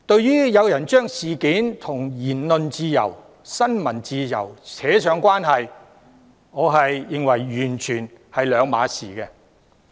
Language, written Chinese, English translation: Cantonese, 有人將這宗事件與言論自由、新聞自由拉上關係，我認為兩者完全不同。, Some people have associated this incident with freedom of speech and freedom of the press but I think the two are completely different